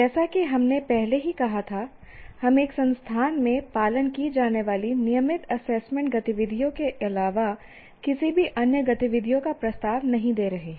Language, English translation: Hindi, As we already said, we are not proposing any different activities other than the routine assessment activities that are followed in an institute